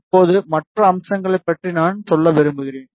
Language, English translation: Tamil, Now, I just want to tell about the other features